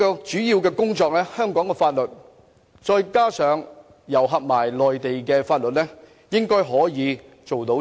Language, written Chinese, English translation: Cantonese, 這方面應該可以透過香港法律，再加上內地法律做到的。, This can be achieved with the laws in Hong Kong and the Mainland